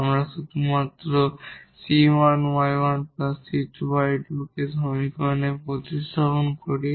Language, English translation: Bengali, We just substitute the c 1 y 1 plus c 2 y 2 into the equation